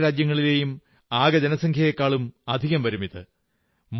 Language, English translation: Malayalam, This number is larger than the population of many countries of the world